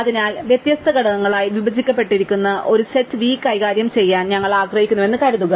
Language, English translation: Malayalam, So, assume that we want to deal with a set v which is broken up into different components